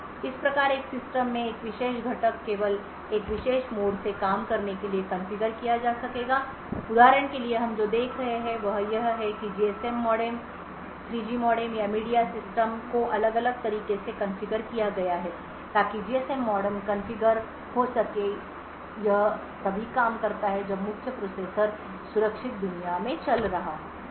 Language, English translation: Hindi, Thus one would be able to configure a particular component in the system to work only from a particular mode for example over here what we see is that the GSM modem, 3G modem and the media system is configured differently so the GSM modem is configured so that it works only when the main processor is running in the secure world